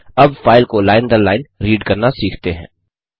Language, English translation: Hindi, Now, let us learn to read the file line by line